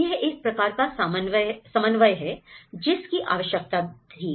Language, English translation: Hindi, So, that is a kind of coordination which was needed